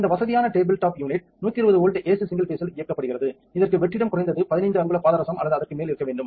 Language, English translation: Tamil, This convenient tabletop unit is powered by 120 volts ac single phase it also requires vacuum to be at least 15 inches mercury or more